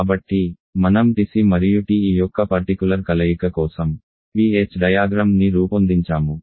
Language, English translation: Telugu, So, I plotted the PH diagram for a particular combination of TC and TE